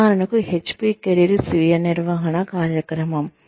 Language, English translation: Telugu, For example, the HP career self management program